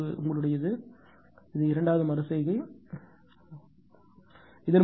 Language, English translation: Tamil, This is your, this is your second iteration second iteration right